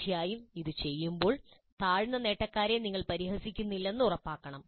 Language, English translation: Malayalam, Because when this is done, we should ensure that we are not ridiculing the low achievers